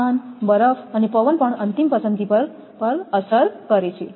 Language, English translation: Gujarati, Temperature, ice and wind also affect the final choice